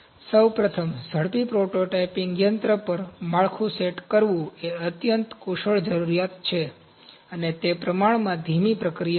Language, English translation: Gujarati, Firstly, setting up a build on a rapid prototyping machine is a highly skilled requirement, and it is relatively slow process